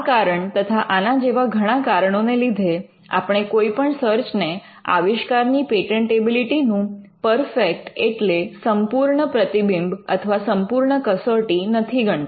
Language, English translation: Gujarati, Now for this and for many more reasons we do not consider a search to be a perfect reflection of patentability of our invention